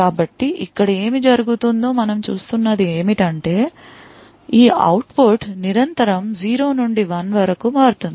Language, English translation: Telugu, So, what we see is happening here is that this output continuously changes from 0 to 1 and so on